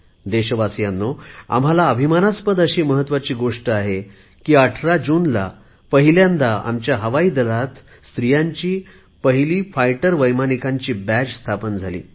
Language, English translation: Marathi, On 18th June, the Indian Air Force for the very first time inducted its first batch of women fighter pilots